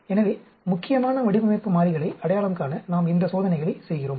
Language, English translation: Tamil, So, we do these experiments to identify important design variables